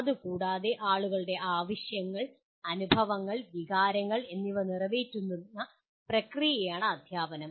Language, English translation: Malayalam, And further teaching is a process of attending to people’s needs, experiences and feelings